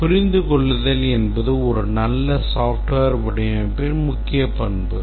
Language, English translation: Tamil, Understandability is a major characteristic of a good software design